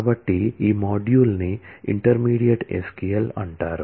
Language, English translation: Telugu, So, these modules are called intermediate SQL